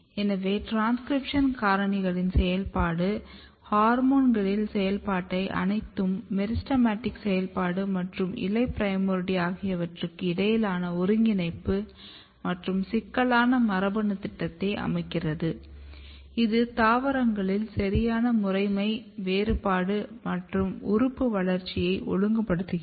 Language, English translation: Tamil, So, all together activity of hormones activity of transcription factors the coordination between meristematic activity and the leaf primordia set complex genetic program which is regulating proper patterning, proper differentiation and proper organ development in plants